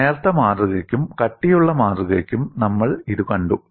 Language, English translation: Malayalam, We have seen it for a thin specimen and a thick specimen